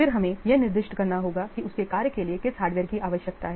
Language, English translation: Hindi, Then for each piece of hardware specify what it needs in order to function properly